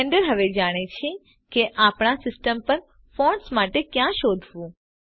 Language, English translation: Gujarati, Blender now knows where to look for the fonts on our system